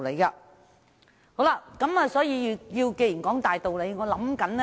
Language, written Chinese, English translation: Cantonese, 那麼我要如何說出這個大道理呢？, How can I expound on this major principle?